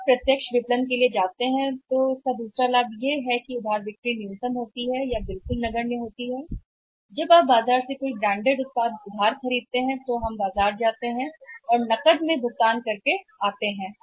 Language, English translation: Hindi, For you see when you go for the direct marketing another positive benefit of the direct marketing is that credit sales are minimum almost negligible when you buy any branded products on the market on credit we go and pay in cash and come back